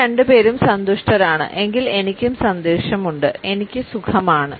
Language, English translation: Malayalam, You two are happy then I am happy for you I am fine